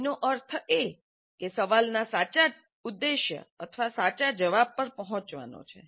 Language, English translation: Gujarati, That means the objective of the question is to arrive at the true or correct answer